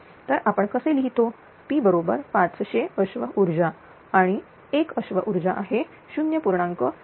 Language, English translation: Marathi, So, how I writing P is equal to 500 horsepower and it is 7 power 0